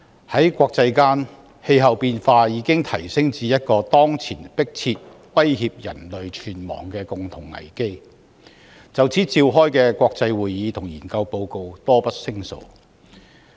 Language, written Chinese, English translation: Cantonese, 在國際間，氣候變化已經提升至一個當前迫切威脅人類存亡的共同危機，就此召開的國際會議和撰寫的研究報告多不勝數。, Internationally the problem of climate change has already reached the level of a common crisis imminently threatening the life and death of mankind . Numerous international meetings are convened to discuss the issue and a large number of research reports have been prepared on the subject